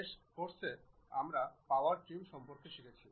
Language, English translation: Bengali, In the last class, we have learned about Power Trim